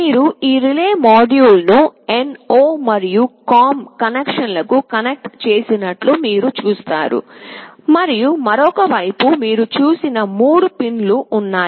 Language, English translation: Telugu, You see on one side you have connected this relay module to the NO and the COM connections, and on the other side there are 3 pins you have seen